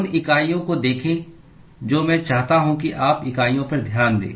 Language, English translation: Hindi, Look at the units I want you to pay attention to the units